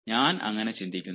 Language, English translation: Malayalam, i, i, i dont think so